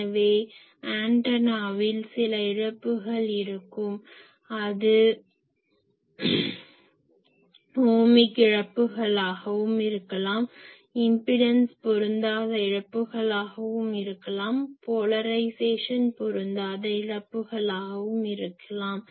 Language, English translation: Tamil, So obviously, there will be some losses in the antenna, that will be in the Ohmic losses , that may be in the impedance mismatch losses , that may be in the mismatch losses